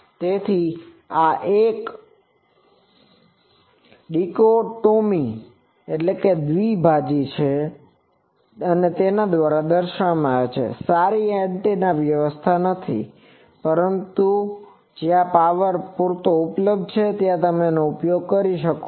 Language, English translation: Gujarati, So, this is a dichotomy that shows that it is not a good antenna, but where power is sufficiently available you can use these as an antenna